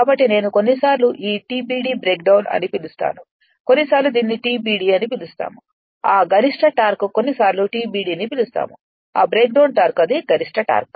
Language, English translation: Telugu, So, that is that is what I said sometimes this this t max we call break down sometimes we call it as TBD that maximum torque sometimes we call TBD right that breakdown torque this one the maximum torque right